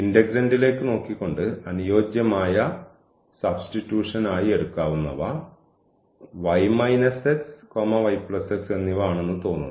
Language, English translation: Malayalam, So, the suitable substitution looking at the integrand seems to be y minus x and this y plus x